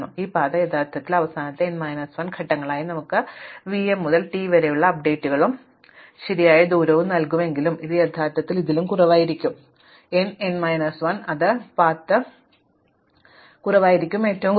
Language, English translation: Malayalam, So, when if this path actually as n minus 1 steps in the last one will give us the update from v m to t and the correct distance about t, but this could actually will be even less then n minus 1 it will path is of less lesser length